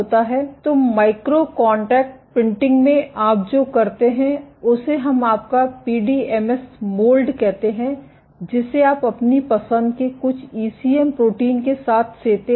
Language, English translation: Hindi, So, in micro contact printing what you do is let us say this is your PDMS mold, you incubate it with some ECM protein of your choice